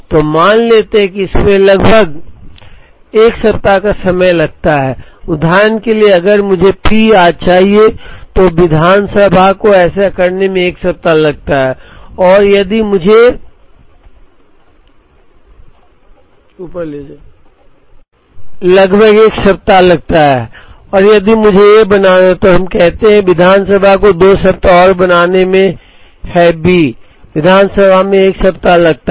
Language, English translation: Hindi, So, let us assume that, it takes about 1 week to for example, if I want P today, the assembly takes 1 week to do this and if I want to make A, let us say the assembly takes 2 weeks and to make B, the assembly takes 1 week